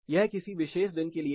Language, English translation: Hindi, This is for a particular day